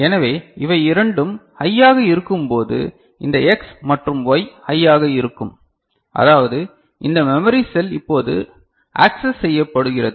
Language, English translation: Tamil, So, when both of them are high, this X and Y are high; that means, this memory cell is now accessed ok